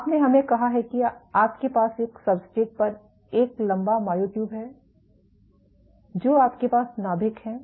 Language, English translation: Hindi, You have let us say you have a long myotube on a substrate these are your nuclei